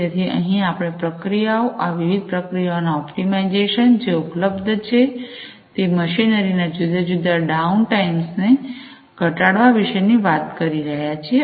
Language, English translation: Gujarati, So, here we are talking about the processes, optimization of these different processes, reducing the different down times of the machinery that is available